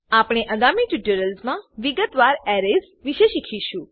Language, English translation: Gujarati, We will learn about arrays in detail in the upcoming tutorials